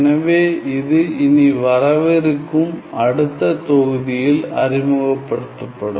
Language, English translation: Tamil, So, this will be introduced in our coming upcoming next module now